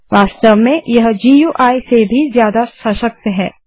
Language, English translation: Hindi, In fact it is more powerful than the GUI